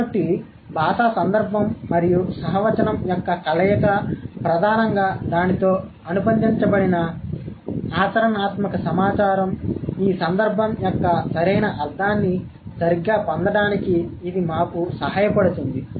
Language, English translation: Telugu, So, the combination of the linguistic context and the codex which are the, which are mainly the pragmatic information is associated with it, it helps us to get the right meaning of this context, right